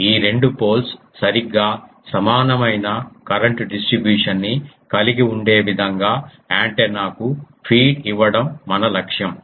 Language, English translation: Telugu, The goal is to feed the antenna in such a way that these two poles have exactly the same current distribution that is the even symmetric